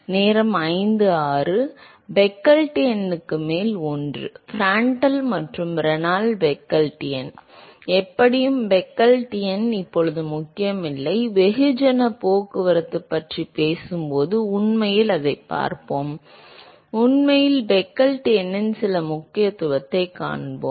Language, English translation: Tamil, One over Peclet number, Prandtl and Reynolds is Peclet number, anyway Peclet number is not important now, we will actually look at it when we talk about mass transport, we will actually see some importance of Peclet number there